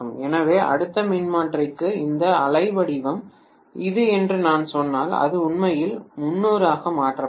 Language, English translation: Tamil, So if I say that this wave form is like this for the next transformer it will be actually 30 degree shifted